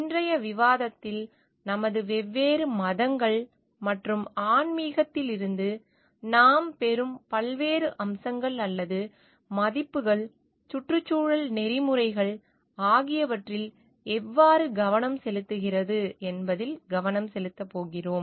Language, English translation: Tamil, In today s discussion we are going to focus on how the different aspects or the values which are like that we get from our different religions and spirituality, how it also focuses on environmental ethics